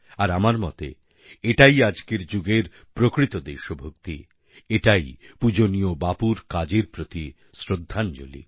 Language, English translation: Bengali, I feel that this is true patriotism, and a perfect tribute to revered Bapu's work